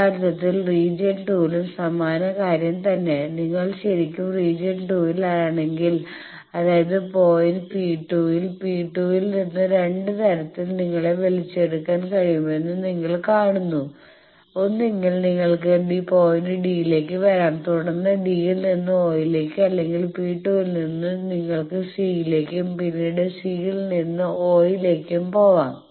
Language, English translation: Malayalam, The same thing in region 2 if you are originally in region 2 that means, in point P 2 you see that in 2 ways you can be pulled from P 2 you can either come down to point d and then from d to d o or from P 2 you could have gone to c and then c to o